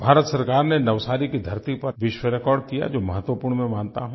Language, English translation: Hindi, Government of India created a world record in Navsari which I believe to be very important